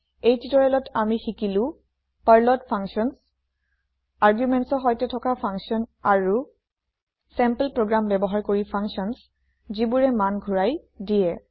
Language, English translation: Assamese, In this tutorial, we have learnt Functions in Perl functions with arguments and functions which return values using sample programs